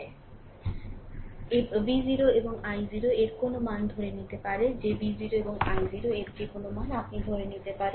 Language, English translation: Bengali, We may assume any value of V 0 and i 0 that any value of V 0 and i 0, you can assume